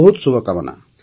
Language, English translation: Odia, Many good wishes